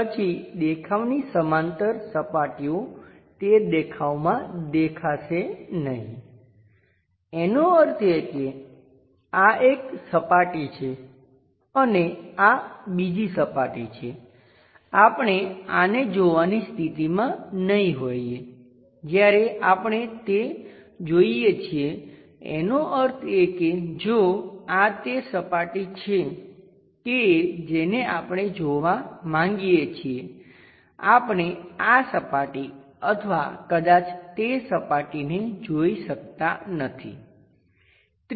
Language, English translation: Gujarati, Then surfaces parallel to the view would not be visible in that view; that means, this is one surface and this is other one, we may not be in a position to visualize this one when we are visualizing that; that means, if this is the surface what we want to visualize we can not really see visualize this surface or perhaps that surface